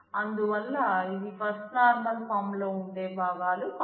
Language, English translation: Telugu, So, these are not parts of what can be a First Normal Form